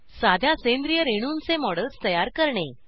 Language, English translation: Marathi, * Create models of simple organic molecules